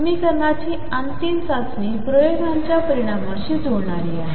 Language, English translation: Marathi, The ultimate test for the equation is matching of results with experiments